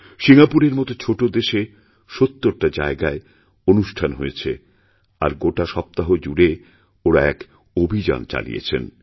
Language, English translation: Bengali, In a small country like Singapore, programs were organised in 70 places, with a week long campaign